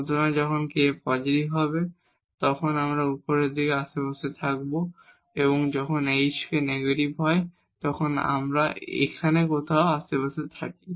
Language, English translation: Bengali, So, either when k positives, we are in the neighborhood of upper side when the h k is negative we are in the neighborhood somewhere here